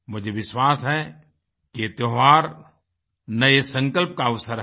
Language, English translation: Hindi, I am sure these festivals are an opportunity to make new resolves